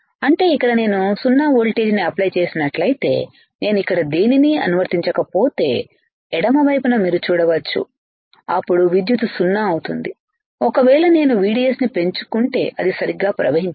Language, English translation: Telugu, That means if I do not apply anything here if I apply 0 voltage here, you see in the left side right then the current will be 0 it will not flow right if I increase VDS my current will start increasing right